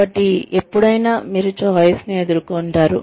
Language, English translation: Telugu, So anytime, you are faced with a choice